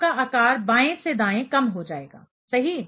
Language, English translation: Hindi, So, your size will be decreasing from left to right; right